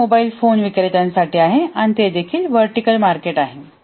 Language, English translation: Marathi, So that is for the mobile phone vendors and that is also a vertical market